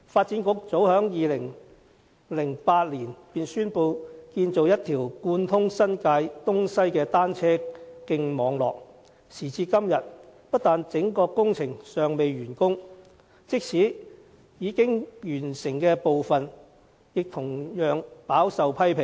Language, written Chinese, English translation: Cantonese, 早在2008年，發展局已宣布建造一個貫通新界東西的單車徑網絡，可是，時至今天，整個工程不但尚未完工，即使是已完成的部分，也備受批評。, As early as 2008 the Development Bureau already announced the construction of a bicycle network connecting New Territories East and New Territories West . Yet to date the works project has not yet completed . Worse still the completed sections are subject to criticisms